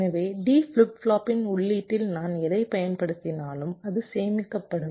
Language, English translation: Tamil, so whatever i have applied to the input of the d flip flop, that gets stored